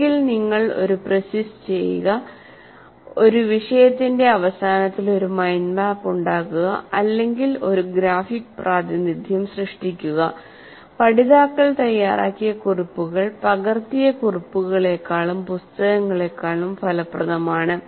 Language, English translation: Malayalam, So either you do a pre see, making a mind map at the end of a topic, or creating a graphic representation, notes made by the learners are more effective than copied notes or books